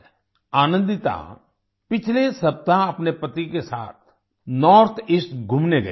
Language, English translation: Hindi, Anandita had gone to the North East with her husband last week